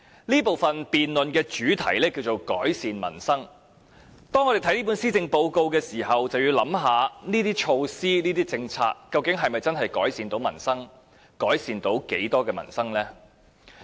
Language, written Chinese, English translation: Cantonese, 這部分的辯論主題是："改善民生"，當我們看這份施政報告時，要考慮這些措施及政策究竟是否真的能夠改善民生，以及能夠在多大程度上改善民生。, The debate theme of this session is Improving Peoples Livelihood . When we look at this Policy Address we need to consider whether these measures and policies can really improve peoples livelihood and to what extent they can do so